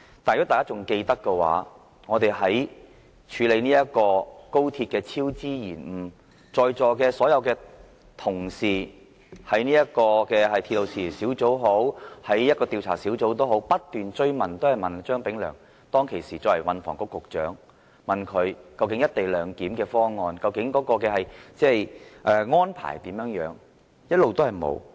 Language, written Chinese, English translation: Cantonese, 但是，如果大家還記得的話，在處理高鐵超支延誤的時候，席上所有同事在鐵路事宜小組委員會或相關的調查小組也好，均曾不斷追問時任運輸及房屋局局長張炳良，究竟"一地兩檢"方案的安排是怎樣？, But we can actually recall that when the Subcommittee on Matters Relating to Railways or other relevant inquiry groups held their meetings on the cost overruns and delays of the Express Rail Link XRL project the Members present all kept asking Prof Anthony CHEUNG then Secretary for Transport and Housing to tell them the progress of making co - location clearance arrangements